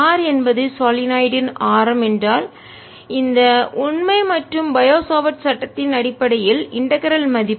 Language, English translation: Tamil, if r is the radius of the solenoid, then on the basis of this fact and and bio savart law, the value of the integral